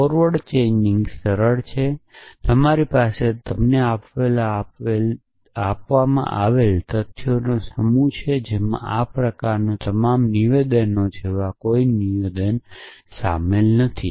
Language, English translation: Gujarati, So, forward chaining is simple you have a set of facts given to you which includes no rules and statements like all these kind of statements